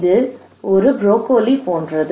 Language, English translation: Tamil, It is like broccoli